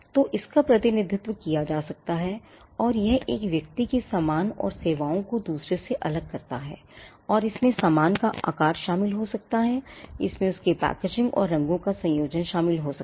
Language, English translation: Hindi, So, it can be represented, and it distinguishes goods and services of one person from those of the other, and may include shape of goods, it may include their packaging and combination of colours